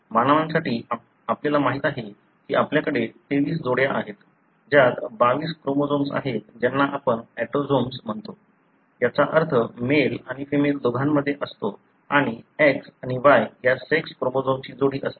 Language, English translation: Marathi, For humans, we know we have 23 pairs, which includes 22 chromosomes which you call as autosomes, meaning present in both male and female and the pair of sex chromosome that is X and Y